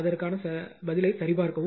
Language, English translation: Tamil, 8 just check